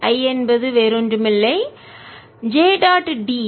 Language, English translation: Tamil, i is nothing but j dot d a